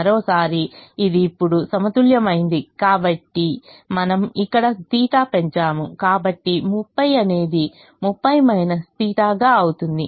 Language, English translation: Telugu, and once again, since this is balanced now, but we have increased a theta here, so thirty has to become thirty minus theta